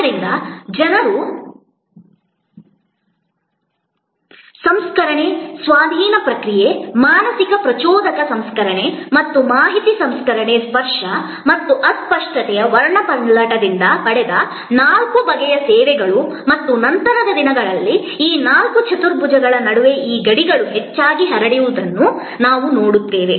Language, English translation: Kannada, So, people processing, possession processing, mental stimulus processing and information processing are the four kinds of services derived from the spectrum of tangibility and intangibility and as later on we will see that these boundaries among these four quadrants are often diffused